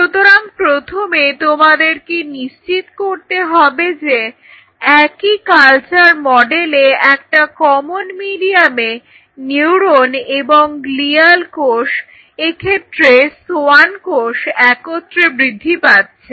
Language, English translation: Bengali, So, in the same culture model you have to ensure that you have first common medium allowing growth of both neuron and gual cells in this case the Schwann cells